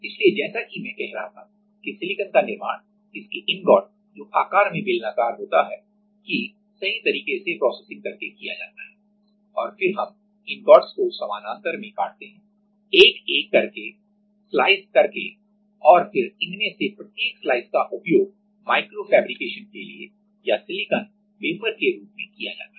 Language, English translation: Hindi, So, as I was saying that for silicon like manufacturing of silicon is done by processing this ingots right which is cylindrical in shape and then we cut the ingots parallely, slice by slice and then each of these slices are used as a for like microfabrication or as silicon wafer